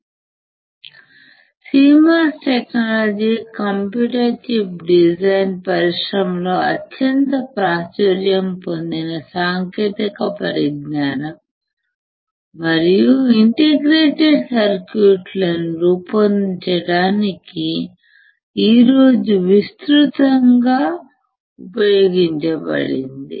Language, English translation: Telugu, CMOS technology is one of the most popular technology in the computer chip design industry, and broadly used today to form integrated circuits